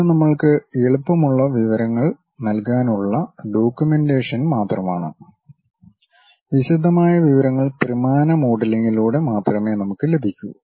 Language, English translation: Malayalam, These are just a documentation to give us easy information, the detailed information we will get only through three dimensional modelling